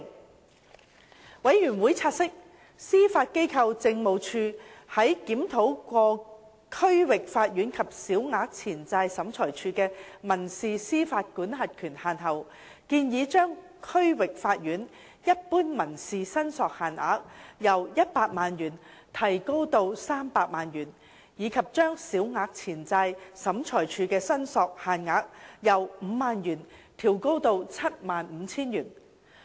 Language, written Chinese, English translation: Cantonese, 事務委員會察悉，司法機構政務處在檢討過區域法院及小額錢債審裁處的民事司法管轄權限後，建議將區域法院一般民事申索限額由100萬元提高至300萬元，以及將小額錢債審裁處的申索限額由 50,000 元調高至 75,000 元。, The Panel noted that the Judiciary Administration after having conducted a review of the civil jurisdictional limits of the District Court DC and the Small Claims Tribunal SCT proposed to increase the general financial limit of the civil jurisdiction of the DC from 1 million to 3 million; and to increase the limit for SCT from 50,000 to 75,000